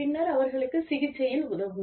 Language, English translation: Tamil, And then, move on to, helping them, with the treatment